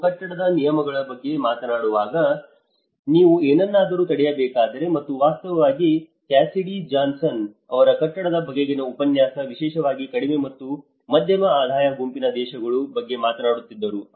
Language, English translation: Kannada, Like when we talk about the building regulations, if you are to prevent something and in fact, Cassidy Johnson was talking about the building course, the need for the building course especially in the low and middle income group countries